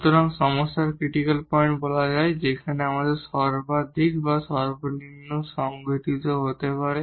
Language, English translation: Bengali, So, called the critical points of the problem where the maximum or the minimum may take place